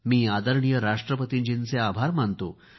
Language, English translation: Marathi, I am grateful to our Honourable President